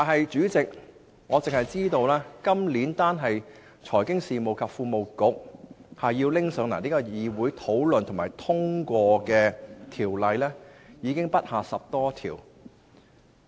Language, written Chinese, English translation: Cantonese, 主席，我只知道在這個立法年度，單是由財經事務及庫務局提交議會討論和通過的法案已不下10多項。, Chairman I only know that in the coming legislative session the Financial Services and the Treasury Bureau alone will table 10 - odd bills for scrutiny and approval by this Council